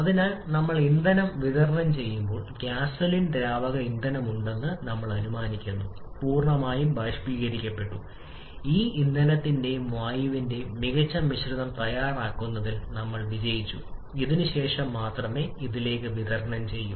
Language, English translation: Malayalam, So, as we are supplying fuel, we are assuming that the liquid fuel that is gasoline has completely vaporized and we are successful in preparing a perfect mixture of this fuel and air and then only is supplied to this